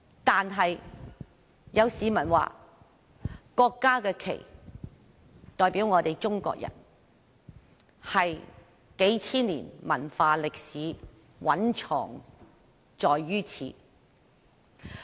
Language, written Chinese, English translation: Cantonese, 但是，有市民說國家的國旗代表中國人，數千年文化歷史蘊藏於此。, However some other members of the public said the national flag represents the Chinese people carrying thousands of years of culture and history